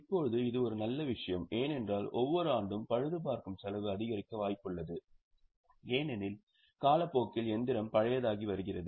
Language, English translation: Tamil, Now, this is a very good thing because every year the cost of repair is likely to increase because the machine is becoming older